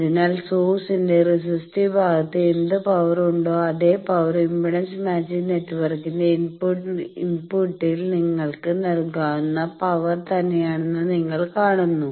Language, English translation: Malayalam, So, you see that this is same as what power is having at the resistive part of the source the same power you can deliver at the input of the impedance matching network